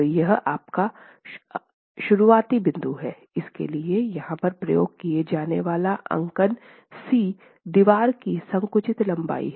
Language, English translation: Hindi, Of course for that, the notation C that is used here is the compressed length of the wall